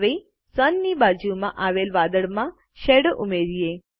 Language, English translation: Gujarati, Now let us add a shadow to the cloud next to the Sun